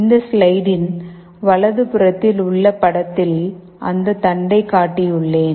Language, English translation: Tamil, Coming back to this slide, in the picture on the right, I have showed the same shaft